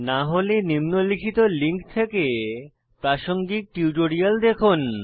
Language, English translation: Bengali, If not, watch the relevant tutorials available at our website